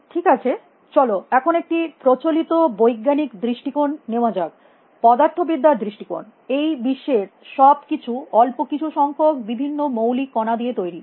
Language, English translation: Bengali, Okay, now let us take a scientific enforce point of view, the physics point of view; everything in the physical world is made up of a small number of fundamental particles